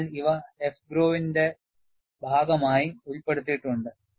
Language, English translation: Malayalam, So, these are included as part of AFGROW